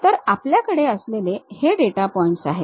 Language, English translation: Marathi, For example, we have these data points